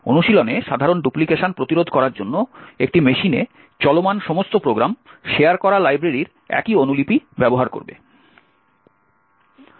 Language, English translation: Bengali, In practice, typically to prevent duplication, all programs that are running in a machine would use the same copy of the shared library